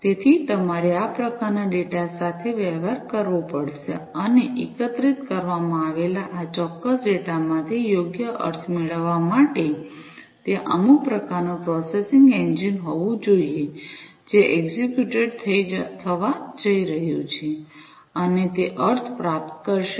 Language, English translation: Gujarati, So, you have to deal with this kind of data and in order to get proper meaning out of this particular data that is collected, there has to be some kind of processing engine, that is going to be executed, and that will derive the meaning out of the data, that are collected and received